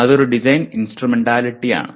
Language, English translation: Malayalam, That is a design instrumentality